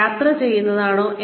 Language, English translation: Malayalam, Is it travelling